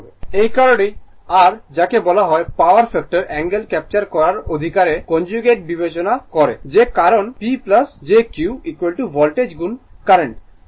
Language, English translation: Bengali, That is why we your what you call we consider conjugate right to capture the power factor angle that is why P plus jQ is equal to voltage into current conjugate